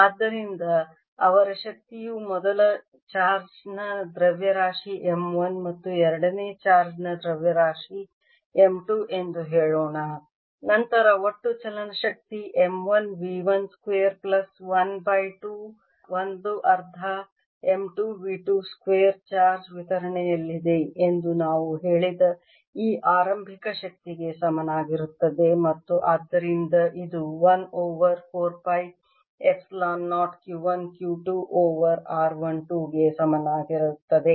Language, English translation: Kannada, then the total kinetic energy m one v one square, plus one half m two v two square will be equal to this initial energy that we said they charge distribution and therefore this will be equal to one over four, pi, epsilon, zero, q one, q two over r one, two